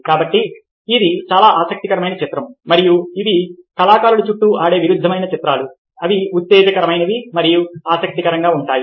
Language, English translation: Telugu, so, so, very interesting image, and these are paradoxical images artists swear on with, which are exciting, interesting